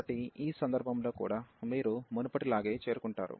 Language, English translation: Telugu, So, in this case also you will also approach same as before